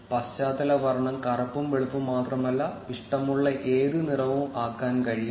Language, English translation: Malayalam, From where you can customize the background color not just black and white, but also a customized color